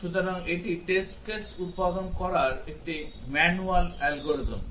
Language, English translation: Bengali, So, this is a manually algorithm for generating test cases